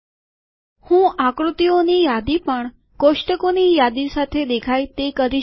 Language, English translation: Gujarati, I can also make this list of figures appear along with the list of tables